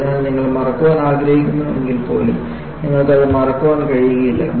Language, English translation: Malayalam, So, you, even if you want to forget, you cannot forget this